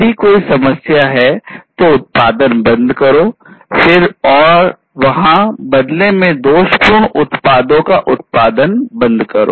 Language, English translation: Hindi, If there is a problem, stop the production, then and there, stop producing defective products in turn